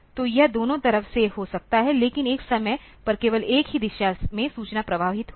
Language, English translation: Hindi, So, it can be both way, but at one point of time only one direction the information will flow